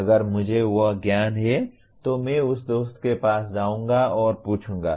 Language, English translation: Hindi, If I have that knowledge I will go to that friend and ask